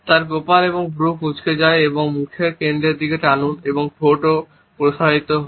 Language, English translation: Bengali, Then forehead and eyebrows are wrinkled and pull towards the center of the face and lips are also is stretched